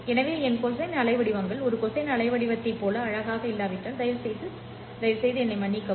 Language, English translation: Tamil, So please forgive me if my cosine waveforms are not very nicely looking like a cosine waveform